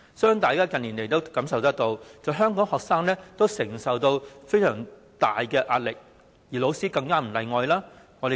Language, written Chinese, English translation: Cantonese, 相信大家近年也覺察到，香港學生要承受相當大的壓力，老師亦不例外。, I trust that we have observed in the recent years that Hong Kong students have to bear fairly great pressure and teachers are no exception